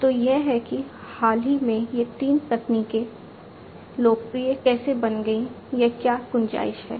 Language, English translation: Hindi, So, this is how these three you know recently popular technologies have become or what is what is what is there scope